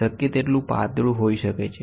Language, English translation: Gujarati, The gratings can be as thin as possible